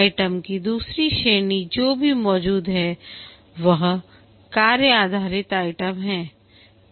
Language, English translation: Hindi, The second category of items that are also present are the task based items